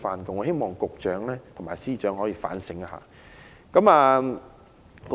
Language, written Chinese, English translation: Cantonese, 我希望局長和司長可以反映這項意見。, I hope the Secretary and the Financial Secretary will reflect this view